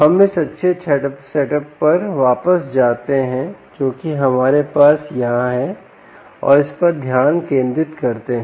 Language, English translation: Hindi, lets go back to this nice setup that we have here and lets focus on this